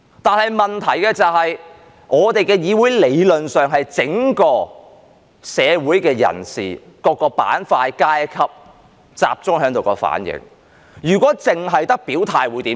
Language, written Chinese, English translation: Cantonese, 不過問題是，我們的議會理論上是整個社會的人士、各個板塊、階級集中在這裏的反映，如果只有表態會如何？, But the problem is that theoretically our Council is a reflection of the entire community and our Members represent different parts or strata of the community . If Members only express their stances what will happen?